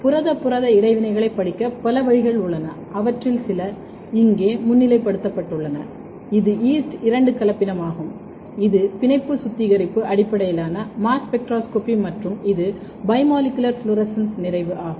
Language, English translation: Tamil, There are many way to study protein protein interaction, some of them is highlighted here, this is yeast two hybrid, this is affinity purification based mass spectroscopy and this is bimolecular fluorescence complementation